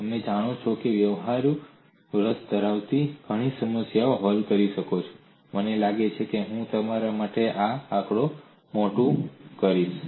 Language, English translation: Gujarati, You know many problems, which are of practical interest could be solved I think, I would enlarge this figure for you